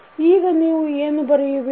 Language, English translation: Kannada, What you can write